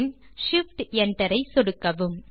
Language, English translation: Tamil, Then click shift enter